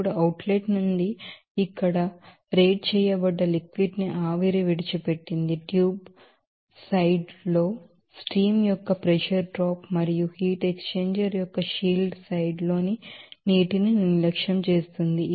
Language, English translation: Telugu, Now the steam leaves rated liquid here from the outlet neglect the pressure drop of the steam in the tube side and the water in the shield side of the heat exchanger